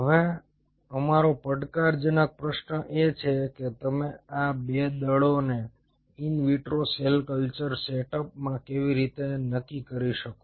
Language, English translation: Gujarati, our challenging, our question is how you can determine these two forces in an in vitro cell culture setup